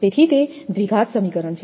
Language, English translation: Gujarati, Therefore, it is a quadratic equation